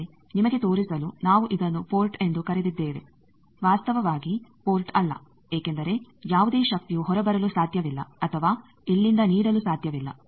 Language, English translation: Kannada, But to show you we have called it a port, actually is not a port because no power can come out or can be given from here